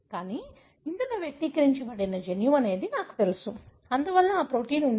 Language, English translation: Telugu, Because, I know this is the gene expressed, therefore that protein should be there